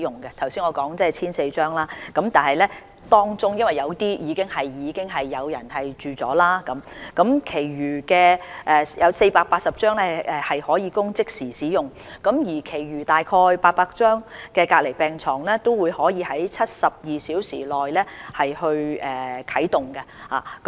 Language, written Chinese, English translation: Cantonese, 剛才我提到有 1,400 張隔離病床，但當中部分已經有病人使用，另外480張可供即時使用，而其餘約800張隔離病床則可以在72小時內啟動。, Of the 1 400 isolation beds that I mentioned earlier some have already been occupied by patients another 480 beds are immediately available whereas the remaining 800 - odd isolation beds can be put into use within 72 hours